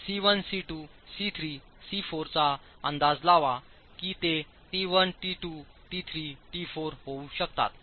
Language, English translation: Marathi, Estimate C1, C2, C3, C4 or they may become T1 T2, T3 and T4